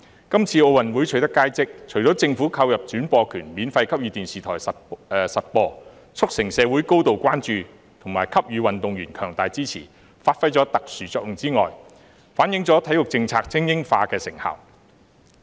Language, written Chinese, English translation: Cantonese, 今次在奧運會取得佳績，除了政府購入轉播權免費給予電視台播放，促成社會高度關注和給予運動員強大支持，發揮了特殊作用之外，亦反映體育政策精英化的成效。, The remarkable results of this years Olympic Games apart from being attributable to the special role played by the Governments purchase of broadcasting rights for TV broadcasters to broadcast the Games free of charge which contributes to the high level of public attention and gives strong support to athletes also reflect the effectiveness of the sports policy on supporting elite sports